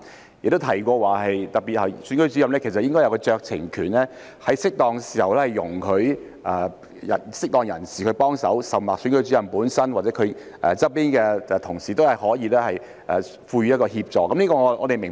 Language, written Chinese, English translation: Cantonese, 當局亦提到，投票站主任其實有酌情權，可以在適當時候容許適當人士協助，而投票站主任本身或其身旁的同事亦可以提供協助。, The authorities also mentioned that the Presiding Officer actually had the discretion to allow appropriate persons to assist as and when appropriate and the Presiding Officer himself or his colleagues nearby could also provide assistance